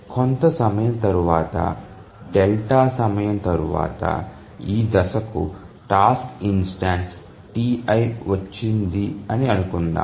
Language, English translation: Telugu, Now let's assume that after a delta time, after some time the task instance T